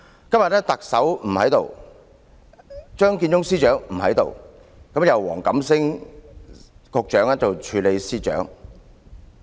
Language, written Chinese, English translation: Cantonese, 今天特首不在席，張建宗司長也不在席，由黃錦星局長兼任政務司司長。, Today the Chief Executive is not present . Chief Secretary Matthew CHEUNG is not here either . Secretary WONG Kam - sing is the Acting Chief Secretary for Administration